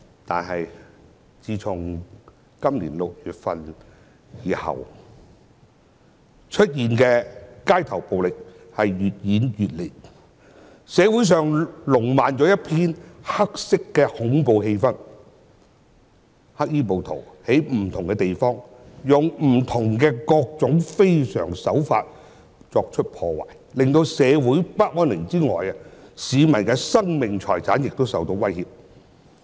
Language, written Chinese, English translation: Cantonese, 但是，自從今年6月後，街頭暴力越演越烈，社會上彌漫一片黑色恐怖氣氛，黑衣暴徒在不同地方使用各種不同的非常手法作出破壞，令社會不安寧外，市民的生命財產也受到威脅。, However street violence has been getting more and more serious since June this year and the community has been overshadowed by an atmosphere of black terror . Black - clad rioters have caused widespread damage using various extraordinary means disrupting social peace and threatening the lives and properties of the public